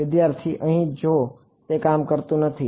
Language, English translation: Gujarati, Here if it is does not work